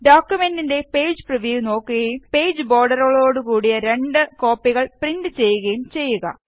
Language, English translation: Malayalam, Have a Page preview of the document and print two copies of the document with borders on the page